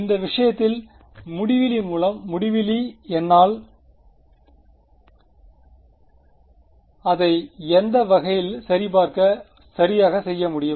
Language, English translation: Tamil, Well in this case infinity by infinity from I can do it in either way right